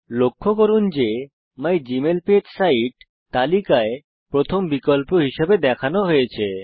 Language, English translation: Bengali, Notice that the site mygmailpage is displayed as the first option on the list